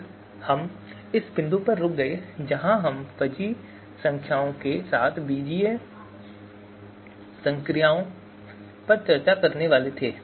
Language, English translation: Hindi, Then we stopped at this point where we were about to discuss the algebraic operations with fuzzy numbers